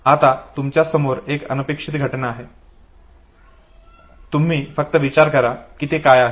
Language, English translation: Marathi, Now you have an unexpected event, you just think what is it